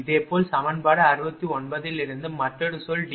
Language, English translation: Tamil, And similarly, from equation 69, another term was that D j j